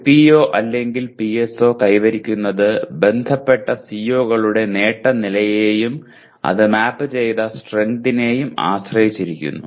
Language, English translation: Malayalam, The attainment of a PO or a PSO depends on the attainment levels of associated COs and the strength to which it is mapped